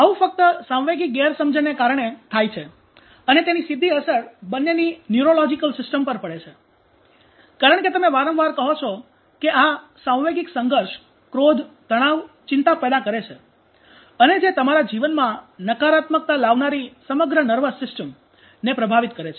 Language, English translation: Gujarati, So this is only happening because of emotional misunderstanding that has a direct bearing on our neurological systems for both to differ because you know umm you often say that this emotional conflicts creates anger tension anxiety that influence (refer time: 15:12) the whole nervous systems bringing negativity in your life